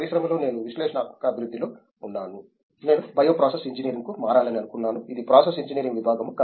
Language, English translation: Telugu, In the industry I was in analytical development, I wanted to shift over to bio process engineering; it’s a process engineering stream